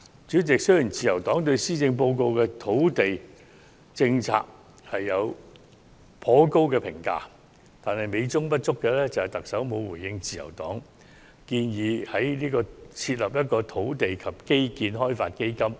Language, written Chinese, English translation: Cantonese, 主席，雖然自由黨對施政報告提出的土地政策評價頗高，但美中不足的是，特首並沒有回應自由黨提出設立土地及基建開發基金的建議。, President although the Liberal Party thinks highly of the land policy as outlined in the Policy Address it is a pity that the Chief Executive has failed to respond to the Liberal Partys proposal of setting up a fund for land and infrastructure development